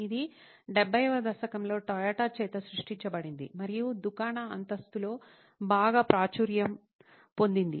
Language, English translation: Telugu, This was coined by Toyota in the 70s and became very popular in the shop floor